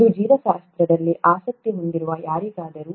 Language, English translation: Kannada, This is for anybody who has an interest in biology